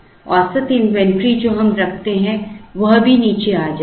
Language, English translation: Hindi, The average inventory that, we hold will also come down